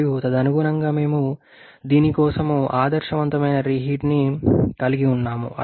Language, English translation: Telugu, And accordingly we are having ideal reheat for this